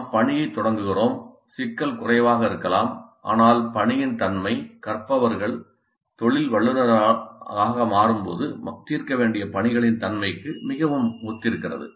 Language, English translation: Tamil, We start with the task the complexity may be low but the nature of the task is quite similar to the nature of the tasks that the learners would have to solve when they become profession